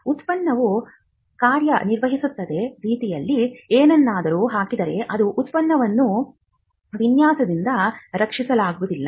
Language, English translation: Kannada, If something is put into the way in which a product works, then that cannot be protected by a design